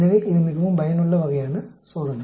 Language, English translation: Tamil, So, it is quite very useful type of test